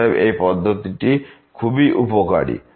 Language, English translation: Bengali, So, that is very important